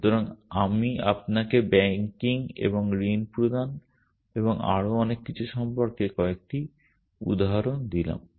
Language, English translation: Bengali, So, I gave you a couple of examples about banking and giving loans and so on and so forth